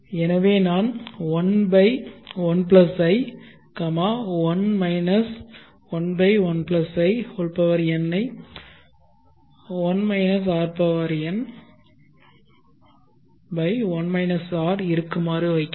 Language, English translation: Tamil, So I will put a 1/1+I, 1 1/1+In that is 1 rn/1 r which is 1 1, 1/1+I